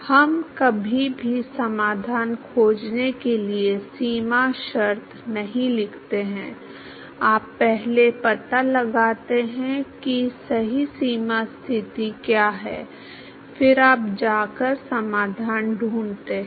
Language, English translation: Hindi, We never write a boundary condition for finding a solution, you first find out what is the correct boundary condition, then you go and find the solution